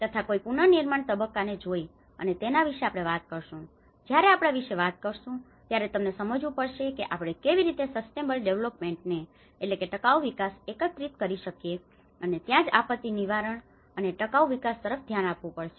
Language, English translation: Gujarati, And one can look at the reconstruction phase, and that is where when we talk about, when we are talking about this, we have to understand that you know how we can integrate the sustainable development and that is where one has to look at the disaster prevention and the sustainable development